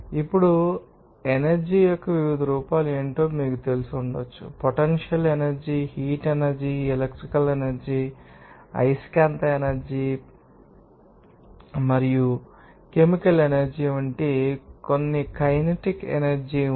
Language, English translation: Telugu, Now, what are the different forms of energy there may be you know, there is some kinetic energy that will be potential energy, thermal energy, electrical energy, magnetic energy work and also energy, chemical energy